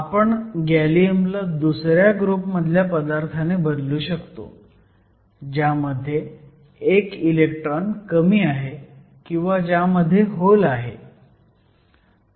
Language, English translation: Marathi, So, we replace gallium by any of the group twos, which has one less electron or you have one hole